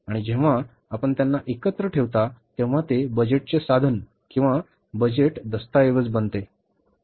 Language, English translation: Marathi, And when you put them together, it becomes the budget instrument or the budget document